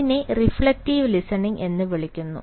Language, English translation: Malayalam, with this sort of listening, this is called reflective listening